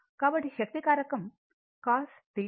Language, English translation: Telugu, So, power factor is equal to cos theta